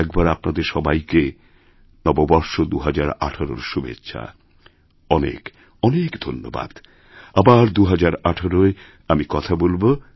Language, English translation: Bengali, And once again, best wishes for the New Year 2018 to all of you